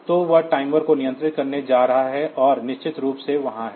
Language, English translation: Hindi, So, that is going to control the timer and of course, there is